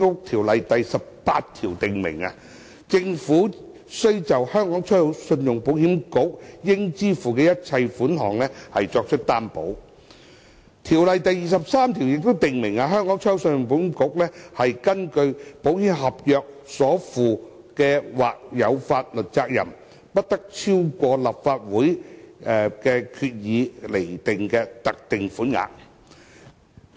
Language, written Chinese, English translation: Cantonese, 《條例》第18條訂明，政府須就信保局應支付的一切款項作出擔保。《條例》第23條亦訂明，信保局根據保險合約所負的或有法律責任，不得超過立法會藉決議而釐定的特定款額。, Section 18 of the Ordinance provides that the Government shall guarantee the payment of all moneys due by ECIC and section 23 stipulates that the contingent liability of ECIC under contracts of insurance shall not exceed a specified amount which may be determined by the Legislative Council by resolution